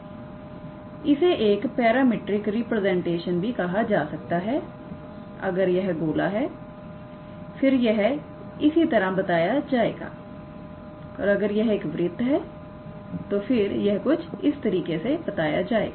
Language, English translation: Hindi, This is also called as the parametric representation is given by if it is a sphere, then it will be given in this fashion, if it is a circle then is given in this fashion all right